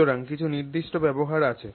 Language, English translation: Bengali, So, some particular use is there